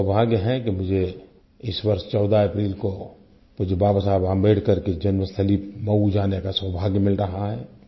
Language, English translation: Hindi, I am fortunate to get the chance to visit Mhow, the birthplace of our revered Baba Saheb Ambedkar, on 14th April this year